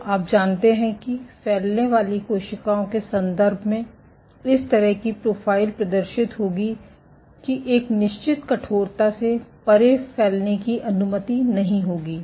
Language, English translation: Hindi, So, you know in terms of spreading cells will exhibit this kind of a profile that beyond a certain stiffness spreading will remain unchanged